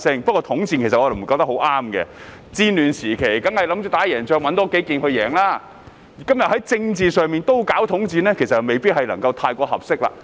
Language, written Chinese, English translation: Cantonese, 不過，我認為統戰是不太合適的，在戰亂時期，當然想多籠絡幾個人以爭取勝利，但在政治上也進行統戰，其實未必太合適。, However I do not find the united front tactic appropriate . It is surely normal to win over a few more people during war times in order to strive for victory but the united front tactic may not work when it comes to politics